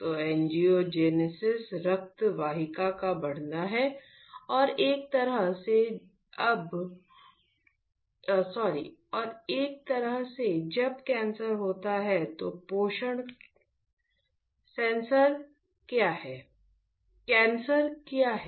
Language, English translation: Hindi, So, angiogenesis is a growing of blood vessels and in a way that when there is a cancer , then the nutrition; see cancer is what